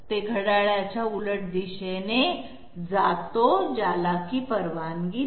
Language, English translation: Marathi, It moves in the counterclockwise direction that is not allowed